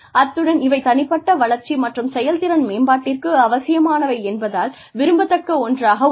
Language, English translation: Tamil, And, they are the ones, that are desirable because they are necessary for personal development and performance improvement